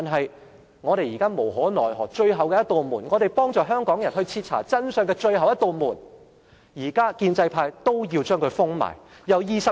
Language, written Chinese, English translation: Cantonese, 然而，我們在無可奈何下採用的最後一扇門，我們可以幫助香港人徹查真相的最後一扇門，建制派現在也要將它封上。, However this last door to which we resort in order to help the people of Hong Kong find out the truth is now closed by the pro - establishment camp